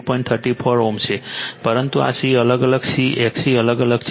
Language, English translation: Gujarati, 34 ohm, but this C is varying C X C varying